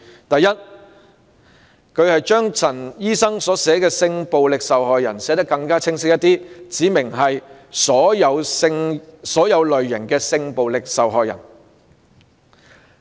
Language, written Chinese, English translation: Cantonese, 第一，他把陳醫生議案內所載"性暴力受害人"一語寫得更加清晰，指明是"所有類型"的性暴力受害人。, First he proposes to enhance clarity of the term sexual violence victims in Dr CHANs motion by specifying that it refers to all types of sexual violence victims